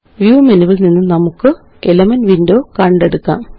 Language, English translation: Malayalam, Let us bring up the Elements window from the View menu